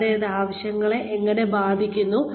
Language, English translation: Malayalam, And, how that affects needs